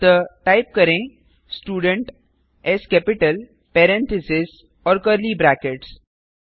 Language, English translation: Hindi, So type Student parenthesis and curly brackets